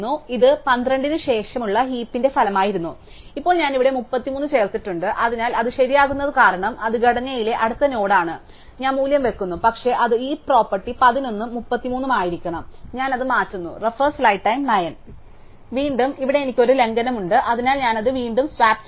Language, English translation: Malayalam, So, this was the result of the heap after 12 and now I have inserted a 33 here, so it has to be the right because that is a next node in the structure and I put the value, but it violates the heap property between 11 and 33, so I swap it up